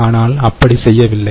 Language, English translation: Tamil, so that doesnt happen